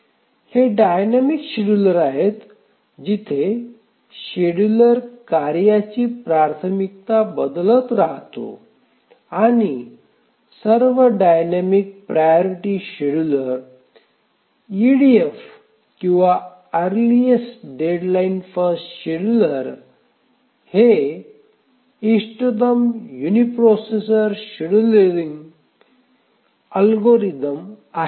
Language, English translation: Marathi, So, these are the dynamic scheduler where the scheduler keeps on changing the priority of the tasks and of all the dynamic priority schedulers, the EDF or the earliest deadline first scheduler is the optimal uniprocessor scheduling algorithm